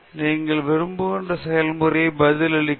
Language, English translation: Tamil, You have to increase in the process responses what you want